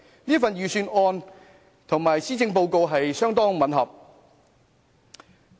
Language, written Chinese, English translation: Cantonese, 這份預算案跟施政報告相當吻合。, The Budget basically follows the direction of the Policy Address